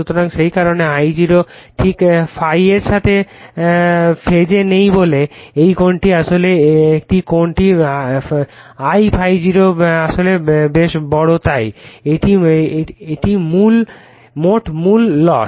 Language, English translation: Bengali, So, that is why I0 is not exactly is in phase with ∅ but this angle actually this angle I ∅0 actually quite large so, that is total core loss